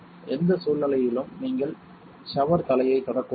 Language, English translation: Tamil, Under no circumstances should you ever touch the shower head